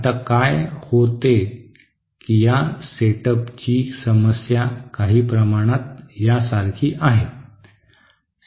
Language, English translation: Marathi, Now what happens is that the problem with this setup is somewhat like this actually